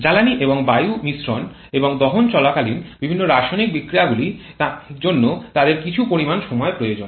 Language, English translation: Bengali, Because the mixing of fuel and air mixture and also the different chemical reactions that takes place during combustion they require some amount of finite time